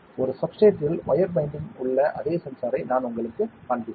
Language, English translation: Tamil, I will show you this same sensor that has been wire bonded onto a substrate